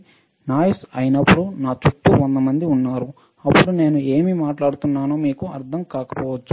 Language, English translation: Telugu, And when this is a noise right at let us say if there are 100 people around me all talking then you may not understand what I am talking